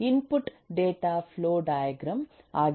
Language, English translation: Kannada, the input was a data flow diagram